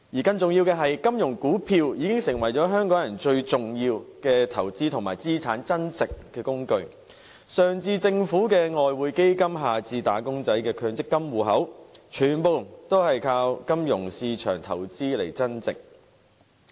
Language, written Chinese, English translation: Cantonese, 更重要的是，金融股票已經成為香港人最重要的投資和資產增值工具，上至政府的外匯基金，下至"打工仔"的強制性公積金計劃戶口，全部都靠金融市場投資而增值。, More importantly to Hong Kong people financial shares have now become the most important tool for investment and assets growth . Both the Governments Exchange Fund at the top and also employees Mandatory Provident Fund Scheme at the bottom have relied on the financial market for their appreciation